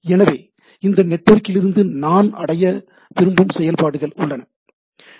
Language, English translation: Tamil, So, there are functionalities I want to achieve from this network, right